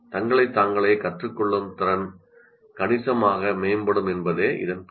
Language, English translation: Tamil, That means their ability to learn by themselves will significantly improve